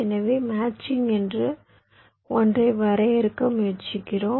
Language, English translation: Tamil, so we are trying to define something called a matching, matching